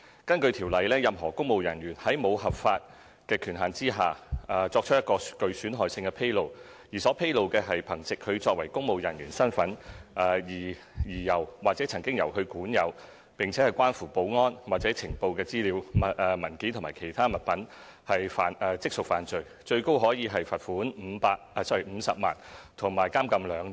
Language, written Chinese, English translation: Cantonese, 根據《條例》，任何公務人員如在沒有合法權限的情況下，作出一項具損害性的披露，而所披露的是憑藉他作為公務人員的身份而由或曾經由他管有，並關乎保安或情報的資料、文件或其他物品，即屬犯罪，最高可處罰款50萬元及監禁2年。, Pursuant to the Ordinance a public servant commits an offence if without lawful authority he makes a damaging disclosure of any information document or other article relating to security or intelligence that is or has been in his possession by virtue of his position and shall be liable to a fine of up to 500,000 and imprisonment for two years